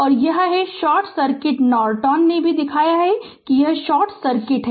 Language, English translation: Hindi, And this is your short circuit Norton also shown that this is short circuit